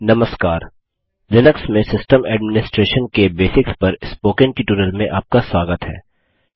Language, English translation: Hindi, Hello and welcome to the Spoken Tutorial on Basics of System Administration in Linux